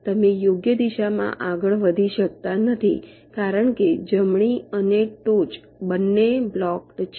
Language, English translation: Gujarati, you cannot move in the right direction because right and top, both are blocked